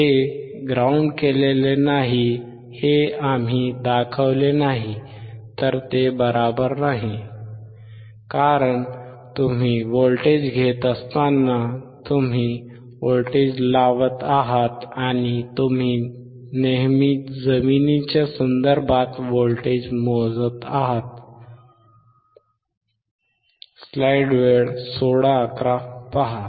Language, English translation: Marathi, If we do not show that it is not grounded, it is not correct, because when you are taking voltage you are applying voltage and you are measuring voltage is always with respect to ground